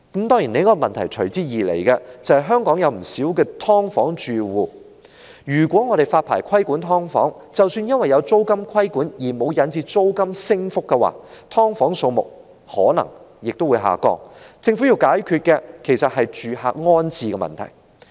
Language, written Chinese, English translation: Cantonese, 當然，隨之而來的另一個問題是，香港有不少"劏房"住戶，如果發牌規管"劏房"，即使因為有租金規管而沒有引致租金上升，"劏房"數目可能亦會下降，而政府要解決的其實是住客的安置問題。, Of course another problem that follows is given that quite a large number of households are living in subdivided units in Hong Kong if licensing control were introduced for subdivided units even though the rental will not rise because of rent control the number of subdivided units may drop and the problem the Government will have to address is actually the rehousing of these households